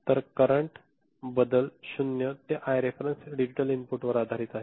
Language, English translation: Marathi, So, the current, the change is from 0 to I reference based on the digital inputs ok